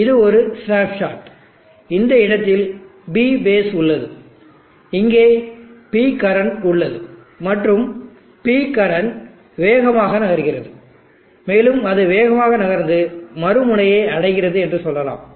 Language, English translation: Tamil, And let us say this is one snapshot P bases at this point, P current here and the P current is moving fast, and let us say it is moving and reaches the other end